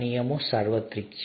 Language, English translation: Gujarati, Are the rules universal